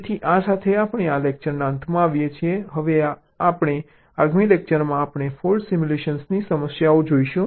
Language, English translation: Gujarati, now, in our next lecture, we shall be looking at the problem of fault simulation